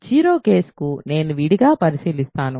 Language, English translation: Telugu, So, 0 case I will separately consider